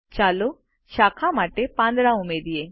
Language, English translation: Gujarati, Let us add leaves to the branch